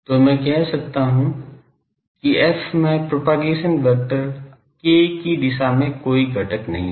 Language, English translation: Hindi, So, I can say that f does not have any component in the direction of propagation vector k